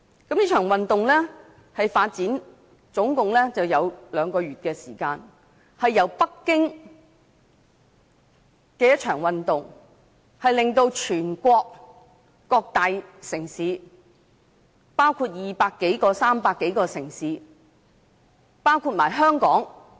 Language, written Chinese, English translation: Cantonese, 這場運動的發展經歷共兩個月時間，由北京的一場運動，擴展至全國200多、300多個城市，包括香港。, Over a period of two months the movement developed from one localized in Beijing to one which extended to 200 or 300 cities across the country including Hong Kong